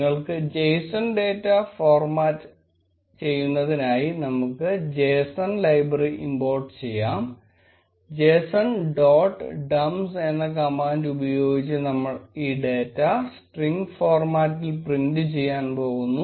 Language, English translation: Malayalam, We will import json library which lets you format the json data; and we are going to print this data in string format by using the command json dot dumps